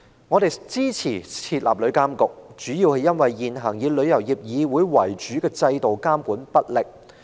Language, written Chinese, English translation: Cantonese, 我們支持設立旅監局，主要是因為以香港旅遊業議會為主的現行制度監管不力。, We support the establishment of TIA primarily because the existing system of relying on the Travel Industry Council of Hong Kong TIC has failed to discharge the monitoring duties properly